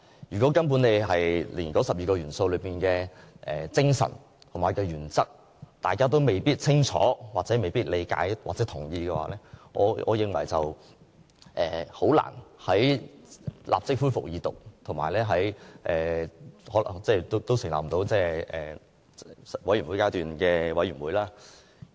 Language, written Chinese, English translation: Cantonese, 如果連那12個元素背後的精神和原則也未清楚、理解或認同，我認為《條例草案》很難立即恢復二讀辯論，亦欠缺穩固的基礎去成立法案委員會。, Without knowledge of understanding of or agreement with the principles and spirit behind those 12 key attributes in my opinion it is difficult to immediately resume the Second Reading debate on the Bill and also there is a lack of solid foundation to set up a Bills Committee